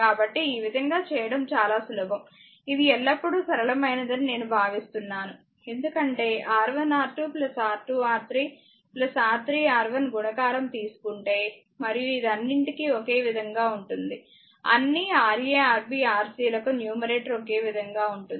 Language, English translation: Telugu, So, it is very easy the way you want, but I always feel this is the simplest one because product R 1 R 2 R 2 R 3 R 3 R 1 product; you take and this is common for all this is common for all the your what you call for all Ra Rb Rc numerator is common